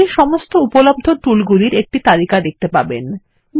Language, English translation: Bengali, You will see a list of all the available tools